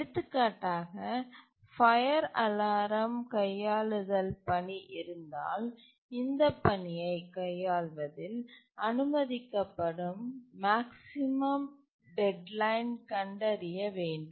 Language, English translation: Tamil, For example, if it is a fire alarm handling task, then we find out what is the maximum deadline that will be permitted in handling this task